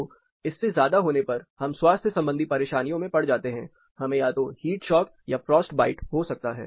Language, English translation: Hindi, So, beyond that we get into the health related troubles, it can go up to a heat shock or frost bite in the other side